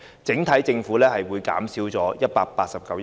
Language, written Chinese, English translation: Cantonese, 政府整體收入會減少189億元。, Government revenue thus forgone will amount to 18.9 billion in total